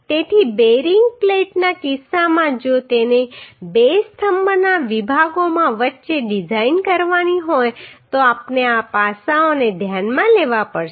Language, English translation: Gujarati, So in case of bearing plate if it is to be designed between two column sections then we have to consider these aspects